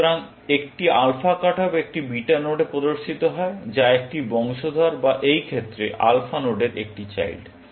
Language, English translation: Bengali, So, an alpha cut off appears at a beta node, which is a descendant or in this case, a child of alpha node